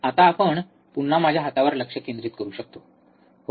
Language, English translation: Marathi, Now, we can focus again on my hand, yes